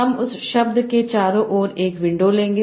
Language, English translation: Hindi, I will take a window around that word